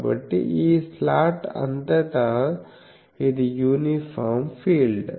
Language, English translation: Telugu, So, it is an uniform field throughout this slot